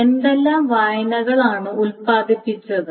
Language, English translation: Malayalam, So what are the reads that are produced, etc